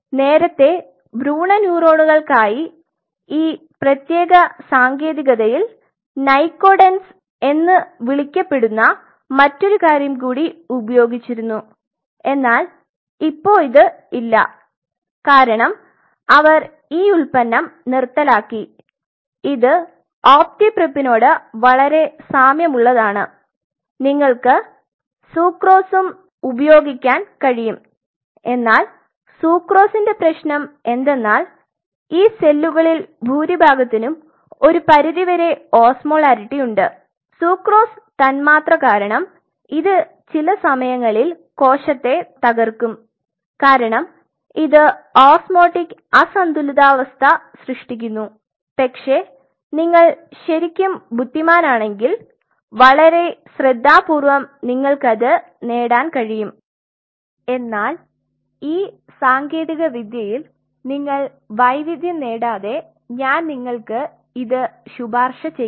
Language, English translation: Malayalam, Earlier for embryonic neurons, so this particular technique, there was another such thing which is called nycodenz you will not find that anymore because they have discontinued this product it is very similar to optipreap nycodenz optipreap sucrose you can use sucrose also, but the sucrose the problem is what I was trying to tell you because most of these cells had a certain degree of osmolarity and sucrose kind of you know because of this molecule it kinds of ruptures the cell at times because it creates osmotic disbalance, but if you are really clever very careful you can achieve it, but I will not recommend unless you have mastered the technique beyond doubt